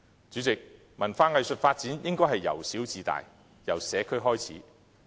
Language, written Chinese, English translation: Cantonese, 主席，文化藝術發展應是由小至大，由社區開始。, President the development of arts and culture should start small and grow big with its beginning in the communities